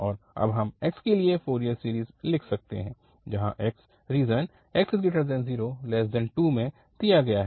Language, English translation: Hindi, And now we can write down the Fourier series for x which is x is given in the interval 0 to 2